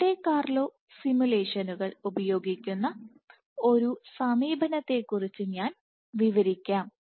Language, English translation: Malayalam, So, I will describe one approach where use Monte Carlo simulations